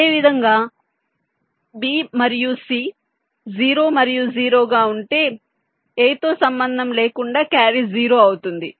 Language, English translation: Telugu, ok, similarly, if b and c as zero and zero, then irrespective of a, the carry will be zero